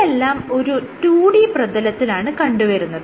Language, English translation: Malayalam, Now, this is on 2D surfaces